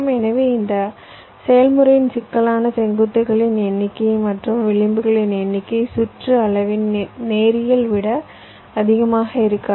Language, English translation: Tamil, so the complexity of this process will be number of vertices plus number of edges, not more than that linear in the size of the circuit